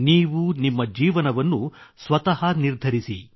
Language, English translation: Kannada, Decide and shape your life yourself